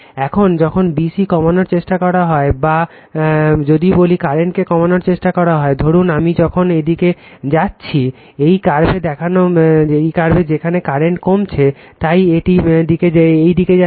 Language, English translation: Bengali, Now, when you try to when you try to reduce b c or what you call try to reduce the current now, suppose why I am moving in this the curve reducing the current, so it is moving in this direction